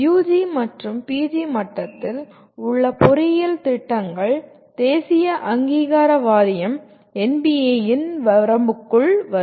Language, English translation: Tamil, The engineering programs, both at UG and PG level come under the purview of National Board of Accreditation NBA